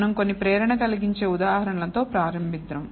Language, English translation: Telugu, We will start with some motivating examples